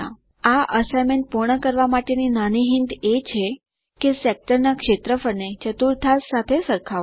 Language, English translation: Gujarati, A small hint to complete this assignment is to compare the area of the sector to the quadrant